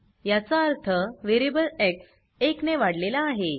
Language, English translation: Marathi, That means the variable x is increased by one